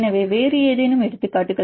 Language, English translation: Tamil, So, any other examples